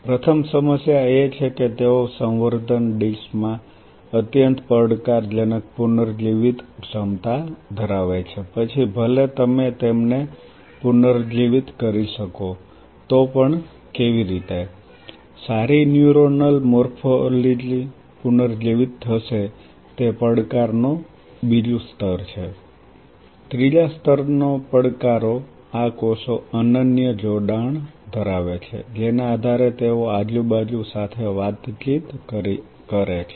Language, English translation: Gujarati, First problem is they are extremely challenging regenerative ability in a culture dish even if you can regenerate them how good neuronal morphology will be regenerated is the second level of challenge, third level of challenges these cells have unique connectivity by virtue of which they cross talk with their surrounding how you can regain that connectivity